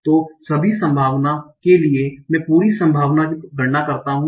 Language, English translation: Hindi, So for all the possibility, I compute the full probability